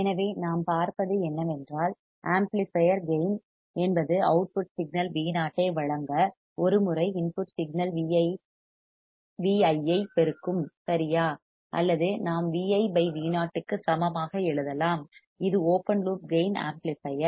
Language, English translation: Tamil, So, what we see is that the amplifier gain is A right that is amplifies the input signal V i by A times to give the output signal V o or we can write a equal to V i by V o, this is the open loop gain amplifier